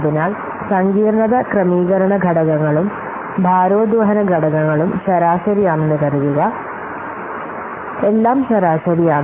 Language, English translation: Malayalam, So, now let's assume that all the complexity adjustment factors and weighting factors they are average